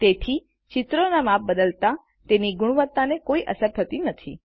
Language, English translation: Gujarati, Therefore, when the images are resized, the picture quality is unaffected